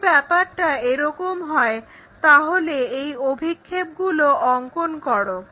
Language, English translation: Bengali, If that is the case draw its projections